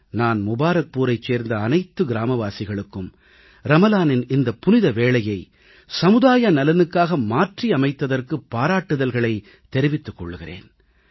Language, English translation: Tamil, I felicitate the residents of Mubarakpur, for transforming the pious occasion of Ramzan into an opportunity for the welfare of society on